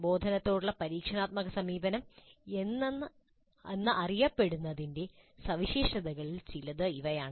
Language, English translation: Malayalam, So these are some of the distinguishing features of what has come to be known as experiential approach to instruction